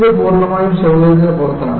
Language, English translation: Malayalam, It is purely out of convenience